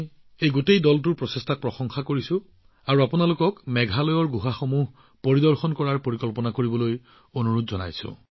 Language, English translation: Assamese, I appreciate the efforts of this entire team, as well as I urge you to make a plan to visit the caves of Meghalaya